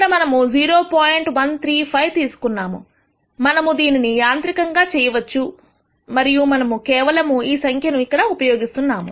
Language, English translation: Telugu, 135 here, there is a way in which you can automate this and here we are just using this number